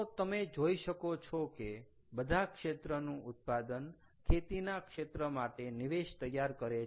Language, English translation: Gujarati, so you can see that all this side output of all the other sectors form input to the agricultural sector